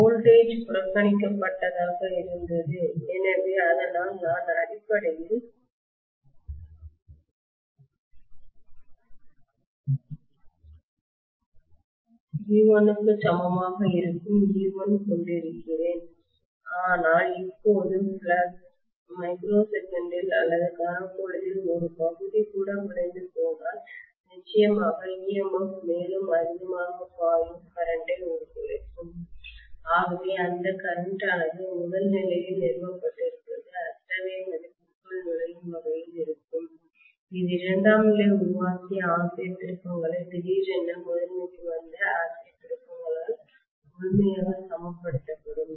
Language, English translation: Tamil, So the drop was negligible, so I was having basically V1 is equal to e1 but now if the flux collapses even for a fraction of a microsecond or millisecond I am going to have definitely the emf also collapsing huge current will flow, so that current what is being established in the primary will be rather gushing into such a value in such a way that you are going to have the ampere turns created by the secondary will be completely balanced by the ampere turns that have come up in the primary you know suddenly